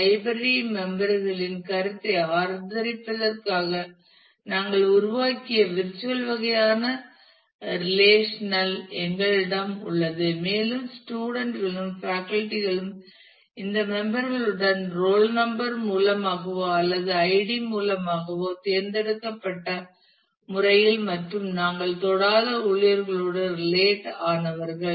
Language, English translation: Tamil, We have quota members has the virtual kind of relation that we have created to support the notion of members of the library and students and faculty are related to this members either through roll number or through id in a selective manner and staff we have not touched